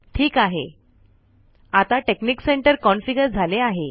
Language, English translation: Marathi, Alright, now texnic center is configured